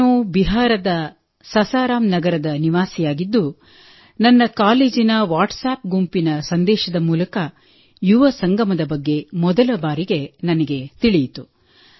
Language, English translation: Kannada, I am a resident of Sasaram city of Bihar and I came to know about Yuva Sangam first through a message of my college WhatsApp group